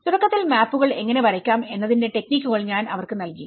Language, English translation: Malayalam, Initially, I have given them techniques of how to draw the maps